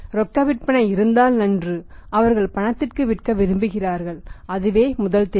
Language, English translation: Tamil, If sales are on cash fine they would like to sell on the cash and that is there first choice